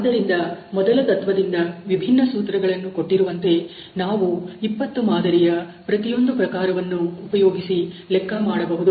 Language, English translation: Kannada, So, from a first principle using you know this different formulation given here, if we calculate from these 20 samples of each type